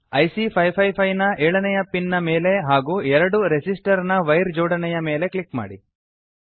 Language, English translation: Kannada, Click on the 7th pin of IC 555 and then on the wire connecting the two resistors